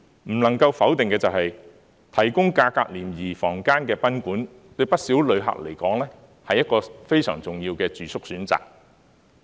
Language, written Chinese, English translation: Cantonese, 不能否定的是，提供價格廉宜房間的賓館，對不少旅客來說，是一個非常重要的住宿選擇。, It is undeniable that guesthouses could provide affordable rooms which are important accommodation options for many visitors